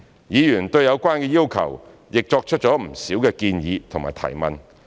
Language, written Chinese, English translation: Cantonese, 議員對有關的要求亦作出了不少建議和提問。, Members have also put forward a number of suggestions and questions about the relevant requirements